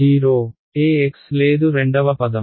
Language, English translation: Telugu, 0 there is no E x, second term